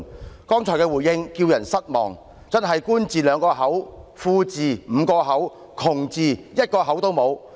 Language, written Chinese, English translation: Cantonese, 他剛才的回應叫人失望，真是"官字兩個口，富字5個口，窮字一個口也沒有"。, His reply just now was disappointing bearing testimony to the fact that the Government always has the last word doubly so for the rich and not at all for the poor